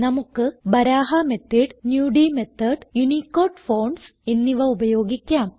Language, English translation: Malayalam, We will use Baraha method, the Nudi method and the UNICODE fonts